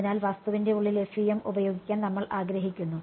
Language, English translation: Malayalam, So, we want to do use FEM for interior of object